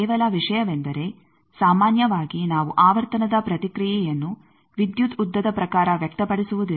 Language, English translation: Kannada, Only thing is generally we do not express the frequency response in terms of electrical length